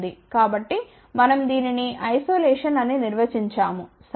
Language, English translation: Telugu, So, we define it as isolation ok